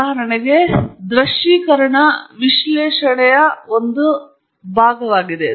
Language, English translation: Kannada, For example, visualization is a part of analysis